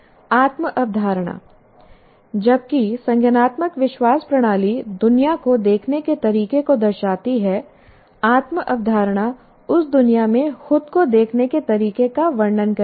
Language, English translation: Hindi, While the cognitive belief system portrays the way we see the world, this self concept describes the way we see ourselves in that world